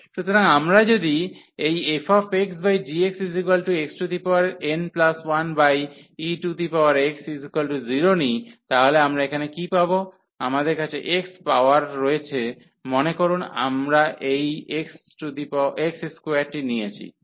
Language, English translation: Bengali, So, if we take this limit here f x over g x as x approaches to infinity, so what we will get here, we have the x power suppose we have taken this x square